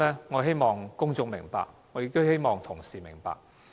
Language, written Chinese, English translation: Cantonese, 我希望公眾明白這點，我亦希望同事明白。, I hope the public and also Honourable colleagues will understand this